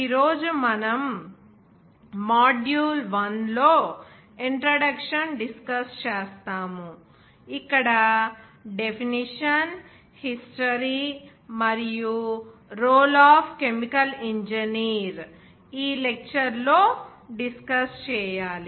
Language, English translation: Telugu, And today we will discuss in module 1 as an introduction where some definition history and role of chemical engineers should be discussed in this lecture